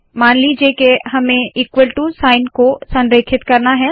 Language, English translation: Hindi, Suppose we want to align the equal to sign